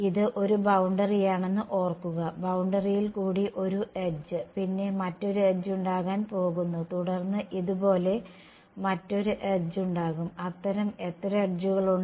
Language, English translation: Malayalam, A what remember this is one boundary one edge along the boundary right and then there is going to be another edge and then there is going to be another edge like this there are how many such edges